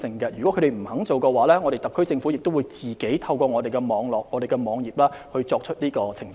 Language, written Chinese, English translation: Cantonese, 如果他們不願意這樣做，特區政府也會自行在政府網頁上作出澄清。, If they are not willing to do so the HKSAR Government will make clarifications on the Governments web pages of its own accord